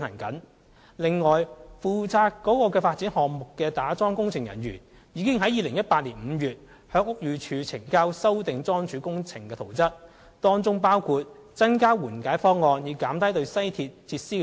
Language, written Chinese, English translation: Cantonese, 此外，負責該發展項目打樁工程的人員，已於2018年5月向屋宇署呈交經修訂的樁柱工程圖則，當中包括增加緩解方案，以減低對西鐵設施的影響。, Moreover the personnel responsible for the piling works of the development project already submitted a revised piling plan to BD in May 2018 . The revised plan includes an enhanced remedial proposal to lessen the impact on the facilities of the West Rail Link